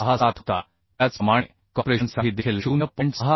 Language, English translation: Marathi, 67 Similarly for compression also 0